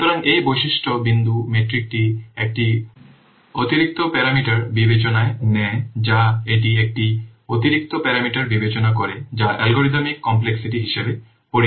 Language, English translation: Bengali, So this feature point metric, it takes in account an extra parameter, it considers an extra parameter that is known as algorithm complexity